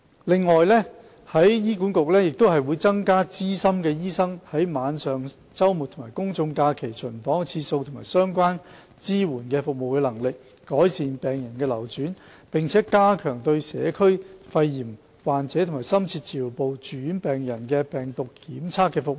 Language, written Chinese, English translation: Cantonese, 另外，醫管局亦會增加資深醫生在晚上、周末及公眾假期的巡房次數及相關支援服務的能力，以改善病人流轉，並加強對社區肺炎患者及深切治療部住院病人的病毒檢測服務。, Besides to improve patient flow HA will also increase ward rounds by senior doctors during evenings weekends and public holidays and enhance the capacity of related supporting services . Virology service for patients with community - acquired pneumonia and those in intensive care units will also be strengthened